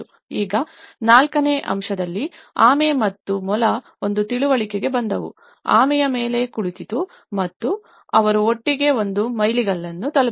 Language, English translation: Kannada, Now, in fourth aspect tortoise and hare came to an understanding, the hare sat on the tortoise and they reached a milestone together